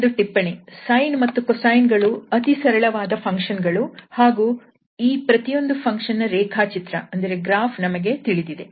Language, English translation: Kannada, So, just a remark so though this sine and the cosine functions are just very simple functions and we know the graph of each of them